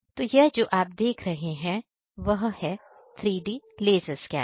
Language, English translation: Hindi, This is a digitizing device, we can say 3D laser scanning